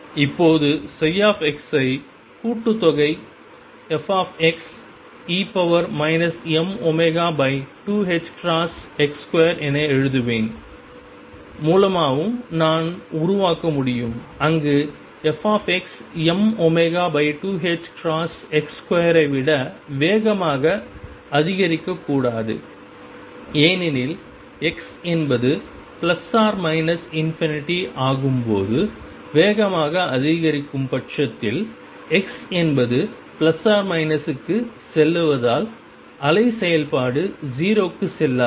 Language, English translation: Tamil, Now, that we can also generate by writing psi x as sum f x e raised to minus m omega over 2 h cross x square where f x should not increase faster than e raised to m omega over 2 h cross x square as x tends to plus or minus infinity if it increases faster, then the wave function would not go to 0 as x goes to plus minus of infinity